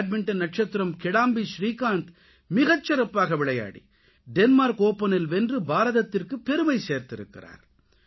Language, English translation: Tamil, Badminton star Kidambi Srikanth has filled every Indian's heart with pride by clinching the Denmark Open title with his excellent performance